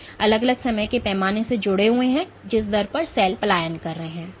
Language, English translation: Hindi, So, there are different time scales associated with it depending on the rate at which the cell is migrating